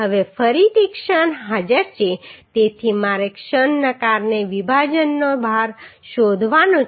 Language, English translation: Gujarati, Now again as moment is present so I have to find out load of splice due to moment